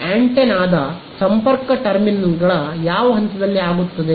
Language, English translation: Kannada, At the connection terminals of antenna